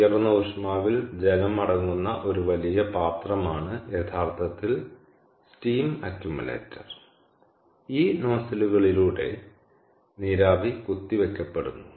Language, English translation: Malayalam, the steam accumulator is a big vessel that consists of water, typically at a high temperature, and in that the steam is injected, ok, through these nozzles